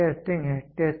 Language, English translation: Hindi, The next one is testing